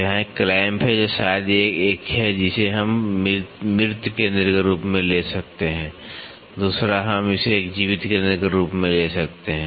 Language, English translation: Hindi, So, here is a clamp which is maybe one we can take it as dead centre, the other one we can take it as a live centre